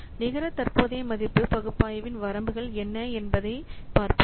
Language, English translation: Tamil, So let's see what are the limitations of net present value analysis